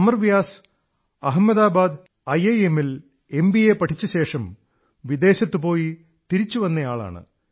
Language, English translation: Malayalam, Amar Vyas after completing his MBA from IIM Ahmedabad went abroad and later returned